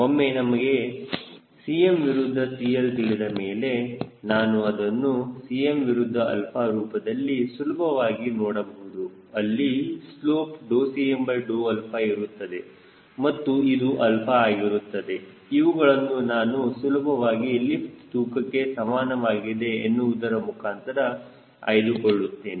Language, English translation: Kannada, once i know c m versus c l, i can easily start visualizing it in terms of c m versus alpha, where this slope now will be d c m by d alpha and this alpha i can easily get from lift equal to weight